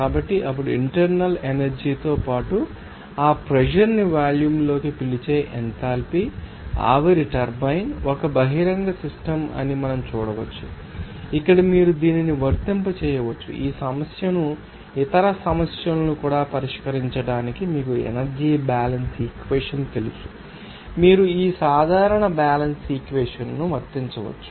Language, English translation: Telugu, So, the enthalpy that will be to call to then internal energy plus that pressure into volume, we can see that the steam turbine is an open system where you can apply this you know energy balance equation to solve this problem even other problems also, you can apply this general balance equation